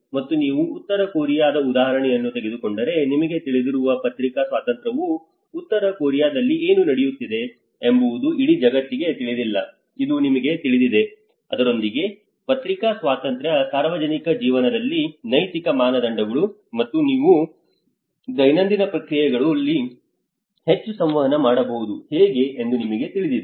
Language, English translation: Kannada, And the press freedom you know like if you take the example of North Korea you know how what is happening in North Korea may not be known to the whole world you know how to communicate with this, the press freedom, ethical standards in public life and these are more of the everyday processes